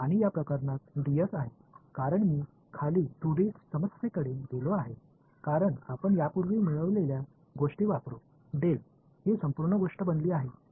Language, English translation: Marathi, And in this case is ds, because I have moved down to a 2D problem ok, using what we have derived earlier this became del dot this whole thing